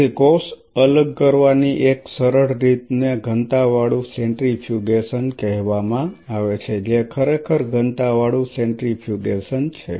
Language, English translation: Gujarati, So, one of the simplest ways of cell separation is called density gradient centrifugation density gradient centrifugation what really is density gradient centrifugation